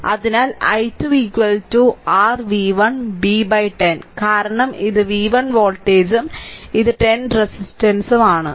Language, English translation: Malayalam, So, i 2 is equal to your v 1 by 10 because this is v 1 voltage and this is 10 ohm resistance